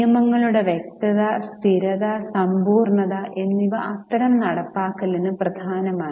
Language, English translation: Malayalam, Clarity, consistency and completeness of rules is key to such enforcement